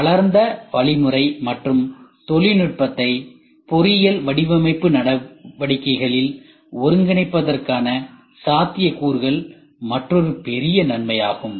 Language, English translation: Tamil, Potential for integration of the developed methodology and technology into the engineering design activities is one of the another big benefit